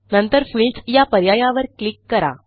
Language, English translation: Marathi, Then click on the Fields option